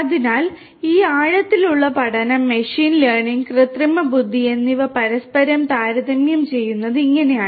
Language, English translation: Malayalam, So, this is how this deep learning, machine learning, and art artificial intelligence is compared to one another